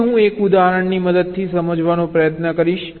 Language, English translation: Gujarati, now i shall try to explain this with the help of an example